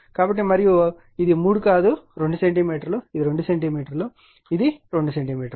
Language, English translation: Telugu, So, and this 3 not 3 2 centimeter each right, it is 2 centimeter this is 2 centimeter right